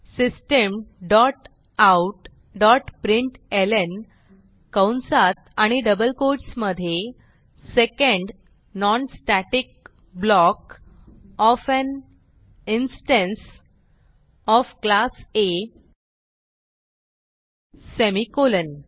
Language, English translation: Marathi, System dot out dot println within brackets and double quotes Second Non static block of an instance of Class A semicolon